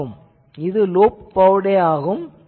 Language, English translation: Tamil, So, this is a loop bowtie equal